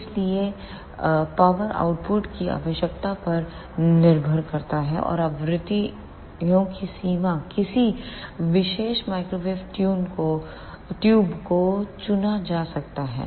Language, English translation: Hindi, So, depending upon the power output requirement; and the range of frequencies any particular microwave tubes can be selected